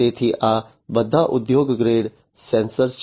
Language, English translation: Gujarati, So, these are all industry grade sensors